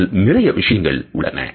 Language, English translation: Tamil, There is something more